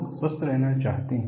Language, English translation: Hindi, People want to remain healthy